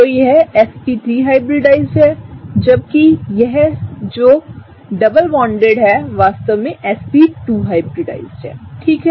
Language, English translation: Hindi, So, this one here is sp3 hybridized, where as the one that is double bonded is actually sp2 hybridized, okay